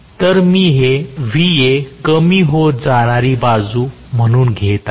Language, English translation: Marathi, So, I am going to have this as Va decreasing direction